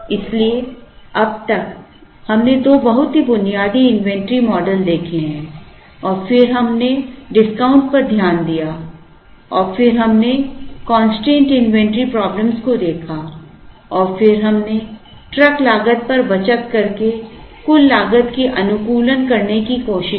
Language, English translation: Hindi, So, far in inventory we have seen, two very basic inventory models and then we looked at discount and then we looked at constrained inventory problems and then we looked at trying to optimize on total cost by, saving on the truck cost